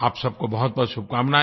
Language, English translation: Hindi, My good wishes to all of you